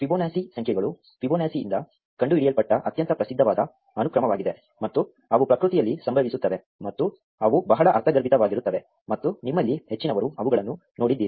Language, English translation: Kannada, The Fibonacci numbers are a very famous sequence which were invented by Fibonacci, and they occur in nature and they are very intuitive and most of you would have seen them